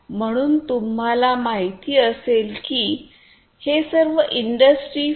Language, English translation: Marathi, So, you know once they all are going to be industry 4